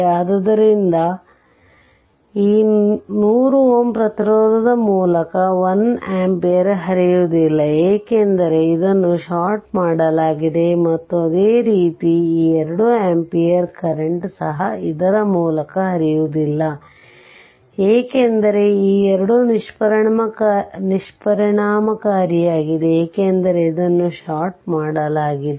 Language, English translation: Kannada, So, because it will this this current will not flow through this 1 ampere ah sorry through this 100 ohm resistance, because it is sorted and similarly this 2 ampere current also will flow through this, because these two are ineffective, because it is sorted